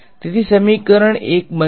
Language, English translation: Gujarati, So, equation one will become